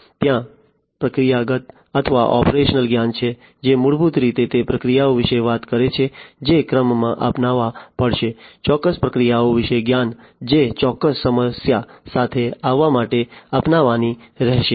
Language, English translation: Gujarati, There is procedural or, operational knowledge, which basically talks about the procedures that will have to be adopted in order to; the knowledge about certain procedures, that will have to be adopted in order to come up with a, you know, a or solve a particular problem